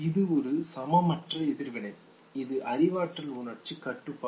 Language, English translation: Tamil, This was a disproportionate reaction; this is no cognitive emotional regulation